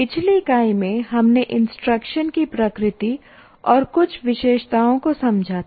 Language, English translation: Hindi, In our earlier unit, we understood the nature and some of the characteristics of instruction